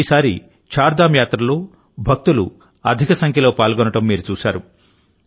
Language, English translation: Telugu, You must have seen that this time a large number of devotees participated in the Chardham Yatra